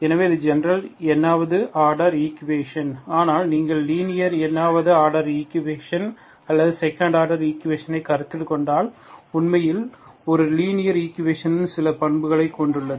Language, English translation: Tamil, And so that is general nth order equation but if you consider linear nth order equation or second order equation, that is actually, a linear equation has certain properties